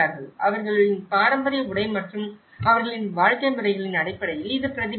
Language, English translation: Tamil, And also it is reflected in terms of their wearing a traditional dress and their living patterns